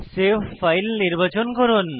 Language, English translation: Bengali, Select Save file option